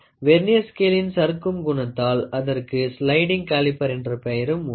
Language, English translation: Tamil, The sliding nature of the Vernier has given it another name called as sliding caliper